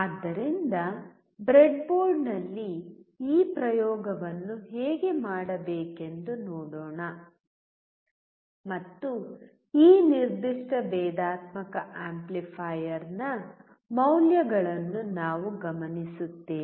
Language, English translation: Kannada, So, let us see how to do this experiment on the breadboard and we will note down the values for this particular differential amplifier